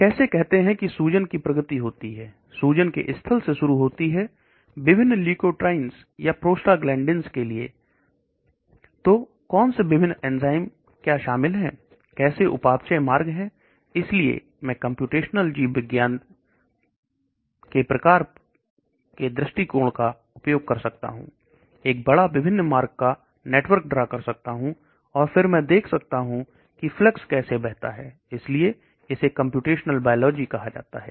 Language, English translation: Hindi, How does say an inflammation progresses, starting from the site of inflammation right down to various leukotrienes or prostaglandins, so what are the various enzymes involved, how is the metabolic pathway, so I can use computational biology type of approach, draw a big network of various pathways, and then I can see how the flux flows, so that is called a computational biology